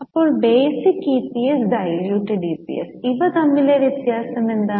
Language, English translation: Malayalam, Now what is a difference in basic and diluted EPS